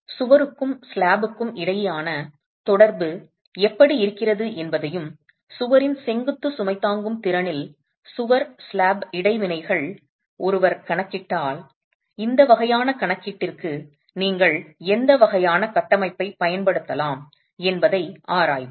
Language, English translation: Tamil, So, let's examine how the interaction between the wall and the slab is and if one way to be accounting for wall slab interactions in the vertical load carrying capacity of the wall, what sort of a framework could you use for this sort of this calculation itself